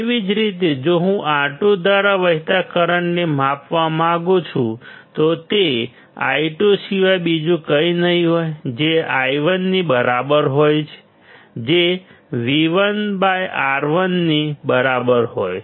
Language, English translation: Gujarati, Similarly if I want to measure the current flowing through R2; it will be nothing but I2 which is equal to I1 which equals to V1 by R1